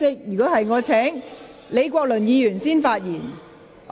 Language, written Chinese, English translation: Cantonese, 若然，我會先請李國麟議員發言。, If so I will call upon Prof Joseph LEE to speak first